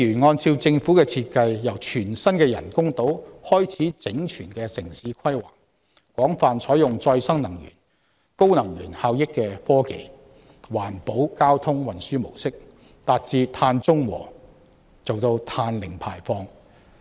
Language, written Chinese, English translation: Cantonese, 按照政府的設計，由全新的人工島開始整全的城市規劃，廣泛採用再生能源、高能源效益科技及環保交通運輸模式，達致"碳中和"及"碳零排放"。, According to the Governments design starting from holistic urban planning the brand new artificial island will adopt general use of renewable energy highly energy efficient technologies and an eco - friendly mode of transport with a view to achieving carbon neutrality and zero carbon footprint